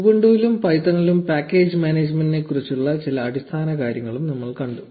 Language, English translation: Malayalam, We also saw some basics about package management in ubuntu and python